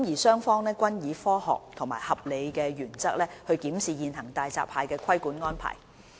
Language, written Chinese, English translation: Cantonese, 雙方均以科學及合理的原則檢視現行大閘蟹的規管安排。, Both sides review the existing regulatory arrangements over hairy crabs based on science and reasonableness